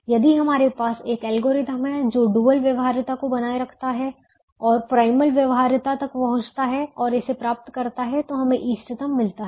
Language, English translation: Hindi, if we have an algorithm that maintains dual feasibility and approaches primal feasibility and gets it, then we get the optimum